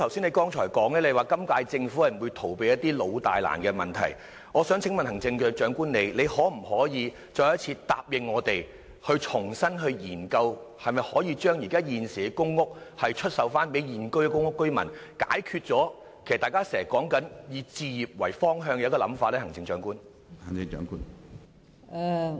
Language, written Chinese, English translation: Cantonese, 你剛才亦表示，今屆政府不會逃避一些老大難的問題，我想請問行政長官，你可否答應我們，重新研究可否將現有公屋單位出售予現有公屋居民，以符合大家現在經常說的，以置業為方向的想法呢？, As you also mentioned earlier this Government will not shy away from longstanding and thorny issues . Chief Executive can you promise us to revisit the measure of selling PRH units to sitting PRH tenants so as to tie in with the direction of home ownership which we talk about frequently these days?